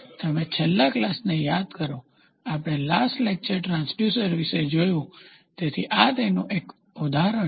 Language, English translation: Gujarati, So, you remember last class, we last lecture we saw about the transducers, so in this is one of the examples for it